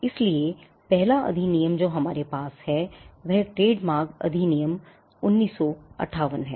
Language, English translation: Hindi, So, the act the first act that we have is the Trademarks Act, 1958